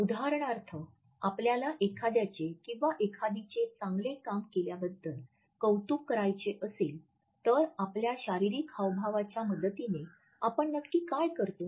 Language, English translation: Marathi, For example, if we have to appreciate a friend for something he or she has just done what exactly do we do with the help of our bodily gestures